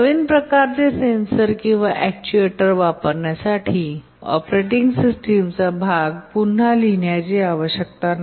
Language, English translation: Marathi, Using a new type of sensor or actuator should not require to rewrite part of the operating system